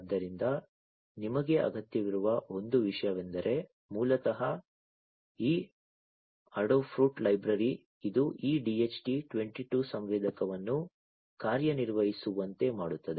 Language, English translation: Kannada, So, one thing that you need is basically this adafruit library, which will work with which will make this DHT 22 sensor to work